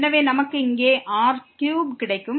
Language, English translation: Tamil, So, this is 3 here